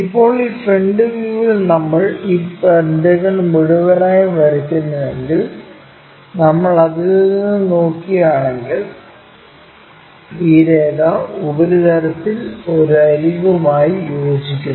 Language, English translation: Malayalam, Now, the projection if we are drawing this entire pentagon in this view front view if we are looking from that this line coincides with that one edge as a surface